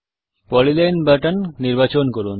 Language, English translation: Bengali, Let us select the polyline